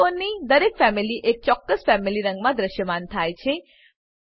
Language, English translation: Gujarati, Each Family of elements appear in a specific Family color